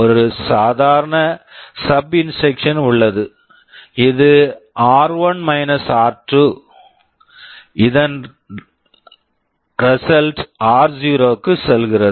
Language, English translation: Tamil, Then there is a normal SUB instruction this is r1 – r2, result is going into r0